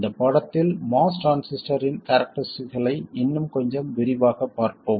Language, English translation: Tamil, In this lesson we will look at the characteristics of the mass transistor in some more detail